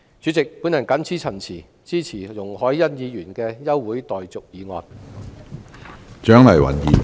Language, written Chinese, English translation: Cantonese, 主席，我謹此陳辭，支持容海恩議員的休會待續議案。, President with these remarks I support Ms YUNG Hoi - yans adjournment motion